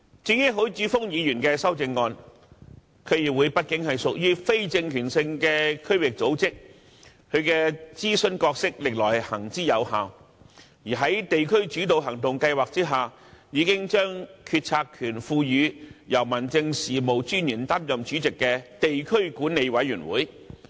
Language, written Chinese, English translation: Cantonese, 至於許智峯議員的修正案，區議會畢竟屬於非政權性的區域組織，其諮詢角色歷來行之有效，而在地區主導行動計劃下，已將決策權賦予由民政事務專員擔任主席的地區管理委員會。, As regards Mr HUI Chi - fungs amendment DCs are after all not organs of political power . Their advisory role has all along been proven effective and under the District - led Actions Scheme the decision - making power has been given to the District Management Committees chaired by District Officers